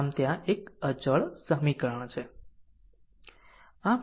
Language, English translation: Gujarati, So, one constant equation will be there